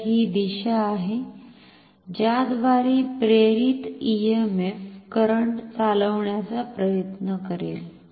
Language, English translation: Marathi, So, this is the direction in which the induced EMF will try to drive the current